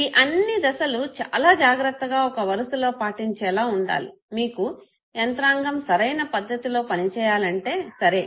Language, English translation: Telugu, And all these steps has to be religiously followed in sequence, if you want the mechanism to work appropriately okay